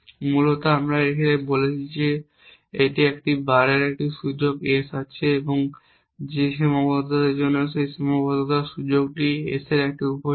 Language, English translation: Bengali, Basically we are saying this a bar has a scope S and for whichever constraint that scope of that constraint is a subset of S